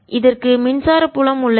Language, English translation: Tamil, this has an electric field